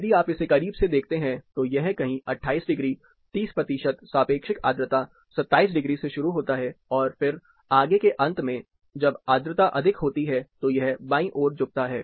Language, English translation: Hindi, If you take a closer look at it, it starts somewhere from 28 degrees, 30 percent relative humidity, 27 degrees, and then on the further end, when the humidity’s are also high, it tilts towards the left